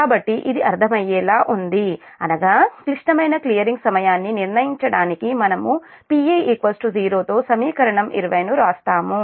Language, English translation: Telugu, so that means, in order to determine the critical clearing time, we write equation twenty with p e is equal to zero